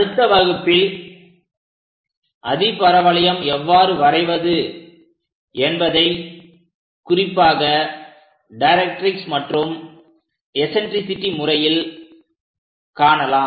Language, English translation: Tamil, In the next class we will learn about how to construct hyperbola, especially using directrix and eccentricity